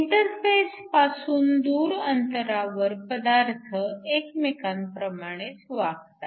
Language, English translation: Marathi, Far away from the interface your materials will behaves as the same